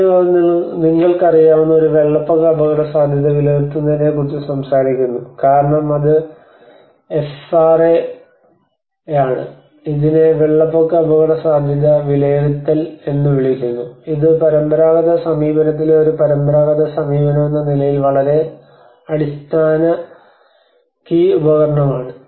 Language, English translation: Malayalam, So first they talk about what is a flood risk assessment you know because that is FRA, we call it as flood risk assessment that is a very basic key tool as a traditional approach in the traditional approach to understand and managing the flood risk